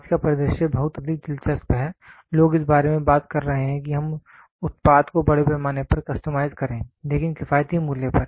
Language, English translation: Hindi, Today’s scenario is much more interesting people are talking about let us make it let us make the product mass customized, but at an economical price